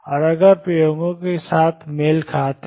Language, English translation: Hindi, And if the match with the experiments